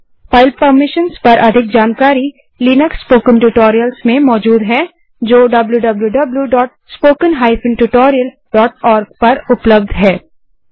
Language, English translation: Hindi, Terminal commands are explained well in the linux spoken tutorials in http://spoken tutorial.org